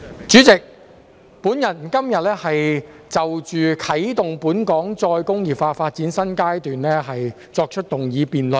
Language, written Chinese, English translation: Cantonese, 主席，我今天就"啟動本港再工業化發展的新階段"提出議案辯論。, President today I propose a motion debate on Commencing a new phase in Hong Kongs development of re - industrialization